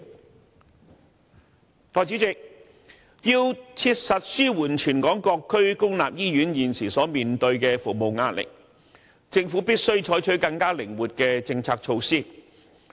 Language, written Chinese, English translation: Cantonese, 代理主席，要切實紓緩全港各區公立醫院現時所面對的服務壓力，政府必須採取更靈活的政策措施。, Deputy President the Government must adopt policies and measures with a greater degree of flexibility in order to alleviate the pressure currently faced by public hospitals throughout Hong Kong